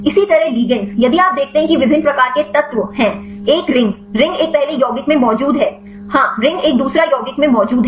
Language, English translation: Hindi, Likewise the ligands; if you see there are different types of elements; say a ring, ring is present in a first compound; yes ring is present a second compound